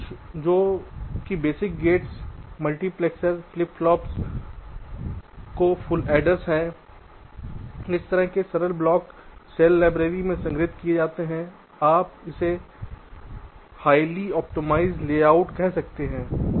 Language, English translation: Hindi, some of them are shown, some that the basic gates, multiplexers, flip plops say, say full header, this kind of simple blocks are stored in the cell library in terms of, you can say, highly optimized layouts